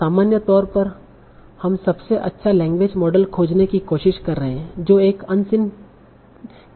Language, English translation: Hindi, So in general what we are trying to find out the best language model that predicts an unseen test data